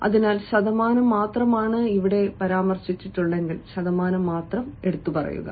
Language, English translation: Malayalam, or if it follows only percentage, mention percentage, as you can see here